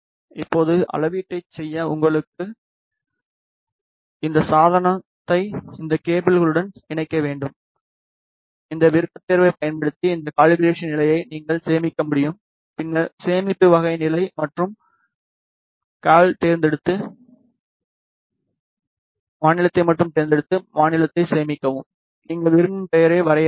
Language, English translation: Tamil, Now, you should connect your device to these cables to do the measurement you can also save this calibration state using this option save recall, then select save type state and cal then select state only and save state and you can define whatever name you want to define